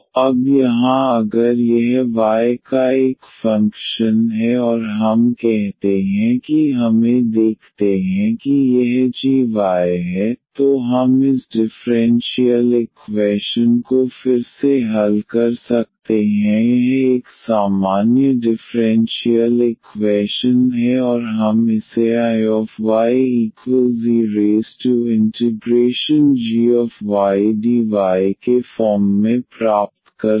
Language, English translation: Hindi, So, here now if it is a function of y alone this one and we say let us see this is g y, then we can solve this differential equation again this ordinary such a ordinary differential equation and we can get as this I y is equal to e power g y dy as the integrating factor